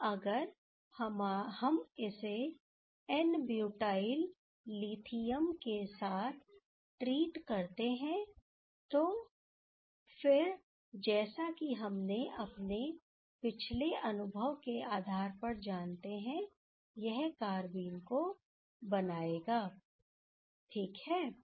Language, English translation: Hindi, And now if we treat with n butyl lithium, then again we as per our previous experience we know that it will give the corresponding carbene ok